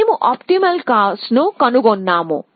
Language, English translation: Telugu, So, we found the optimal cost